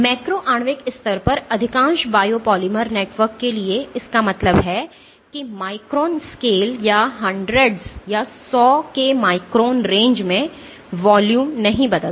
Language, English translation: Hindi, So, for most biopolymer networks at the macro molecular level; that means, at the micron scale or 100s of microns range, the volume does not change